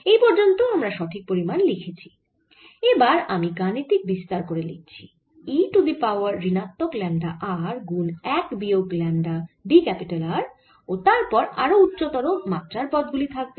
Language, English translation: Bengali, so far is exact, and then i am going to expand it further as e raise to minus lambda r, one minus lambda d r, alright, and then higher order terms